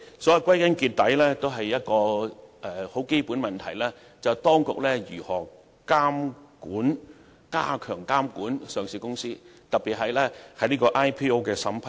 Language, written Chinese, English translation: Cantonese, 因此，歸根結底，最基本的問題是當局如何加強監管上市公司，特別是 IPO 的審批。, Therefore after all the root of the issue is how the authorities step up their control over listed companies especially the vetting and approving of initial public offering